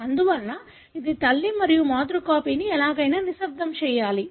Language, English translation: Telugu, Therefore, this is maternal and the maternal copy anyway should be silenced